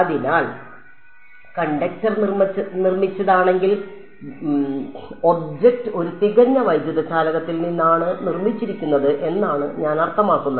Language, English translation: Malayalam, So, if the conductor is made I mean if the object is made out of a perfect electric conductor